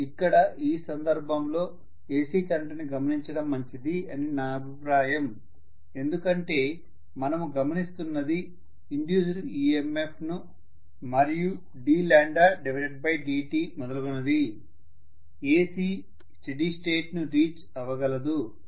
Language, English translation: Telugu, I would say it is better to look at an AC current in this case because we are looking at the induced EMF, d lambda by dt and so on and so forth